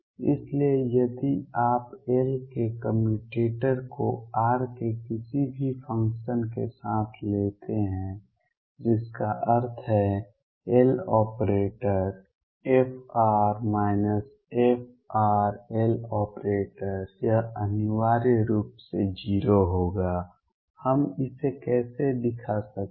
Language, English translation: Hindi, So, if you take the commutator of L with any function of r which means L operating on f minus f r L this will necessarily come out to be 0 how do we show that